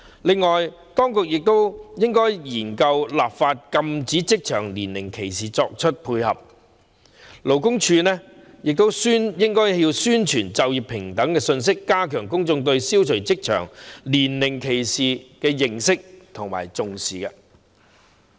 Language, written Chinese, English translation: Cantonese, 此外，當局亦應研究立法禁止職場年齡歧視，勞工處亦應宣傳就業平等信息，加強公眾對消除職場年齡歧視的認識和重視。, Moreover the authorities should study the enactment of legislation to ban age discrimination in the workplace . LD should also promote the message of employment equality in order to strengthen public understanding of and importance attached to the elimination of age discrimination in the workplace